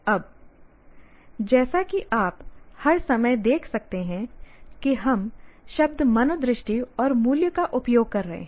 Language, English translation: Hindi, Now, as you can see, all the time we are using the words attitudes and values